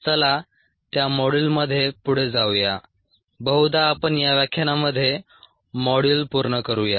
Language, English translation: Marathi, most likely we would complete the module in this lecture